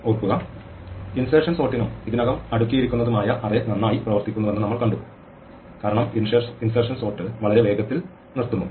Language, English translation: Malayalam, Remember, we saw that for insertion sort and already sorted array works well because the insert steps stops very fast